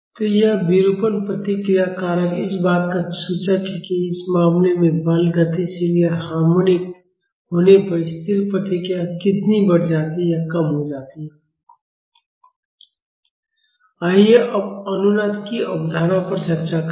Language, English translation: Hindi, So, this deformation response factor is an indicator of how much the static response is amplified or reduced when the force is dynamic or harmonic in this case Now let us discuss the concept of resonance